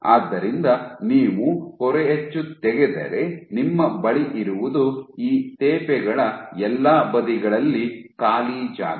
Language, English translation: Kannada, So, if you remove the stencil so what you have is empty space on all sides of these patches